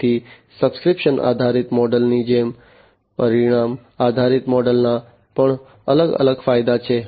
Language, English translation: Gujarati, So, like the subscription based model, there are separate distinct advantages of the outcome based model as well